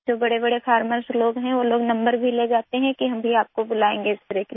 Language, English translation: Hindi, Those who are big farmers, they also take our number, saying that we would also be called for spraying